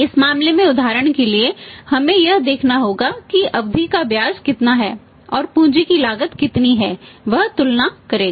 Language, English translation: Hindi, So, in this case for example we have to see that how much interest he is asking for and how much it is cost of capital he will make a comparison